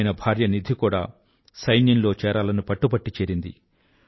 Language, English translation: Telugu, His wife Nidhi also took a resolve and joined the army